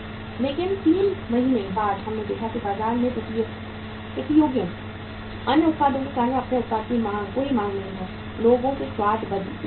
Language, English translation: Hindi, But 3 months later on we saw that there is no demand for your product because of the competitors, other products in the market; change of the in the taste of the people